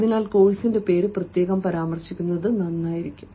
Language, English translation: Malayalam, so it is better to mention specifically the name of the course